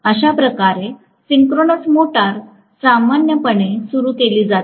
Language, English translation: Marathi, That is the way synchronous motor is generally started